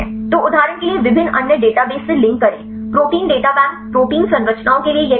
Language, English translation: Hindi, So, link to the different other databases for example, protein data bank this will for the protein structures